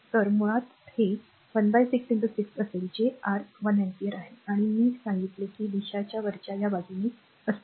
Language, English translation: Marathi, So, basically this one will be 1 upon 6 into 6 that is your 1 ampere right and I told you the direction is a upward